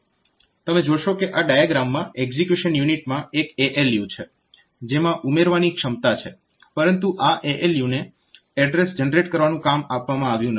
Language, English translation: Gujarati, So, you see that you look into this diagram you see there is one ALU on the execution unit which does which also has the capability to do addition, but this ALU is not given the task of generating the address